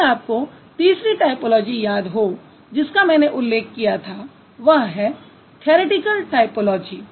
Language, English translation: Hindi, If you remember the third typology that I mentioned is theoretical typology